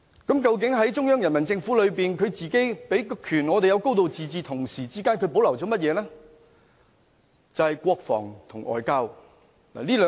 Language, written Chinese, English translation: Cantonese, 究竟中央人民政府自己授權香港可"高度自治"，同時又保留了甚麼呢？, While the Central Peoples Government empowers Hong Kong to have a high degree of autonomy what are the rights that it reserves for itself?